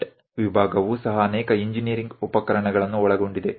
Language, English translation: Kannada, Even the cut sectional consists of many engineering equipment